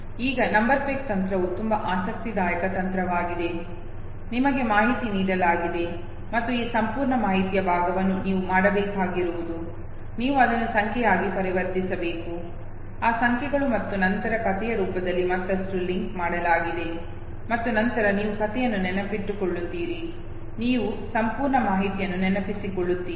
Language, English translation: Kannada, Now number peg technique is a very interesting technique, you have information given to you and this whole piece of information all you have to do is, that you have to convert it into number okay, those numbers are and then further linked in the form of a story and then you memorize the story you remember the whole information okay